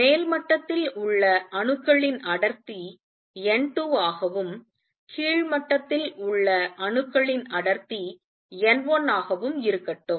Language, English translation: Tamil, Let the density of atoms in the upper level be n 2, density of atoms in the lower level be n 1